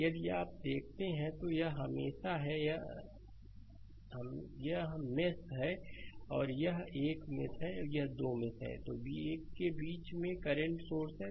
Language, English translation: Hindi, And if you look into that, then this is mesh and this is 1 mesh and in between 2 mesh 1 current source is there right